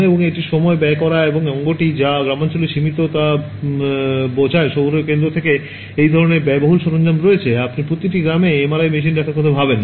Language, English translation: Bengali, And all its time consuming, and its organ something that is limited to rural I mean urban centers where such expensive equipment is there, you cannot have you know think of having an MRI machine in every village